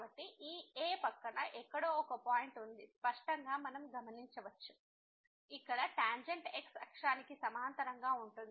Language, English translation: Telugu, So, clearly we can observe that there is a point here somewhere next to this , where the tangent is parallel to the